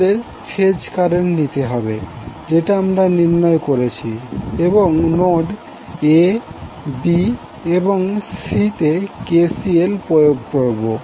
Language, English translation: Bengali, We have to take the phase current which we derived and apply KCL at the notes A, b and C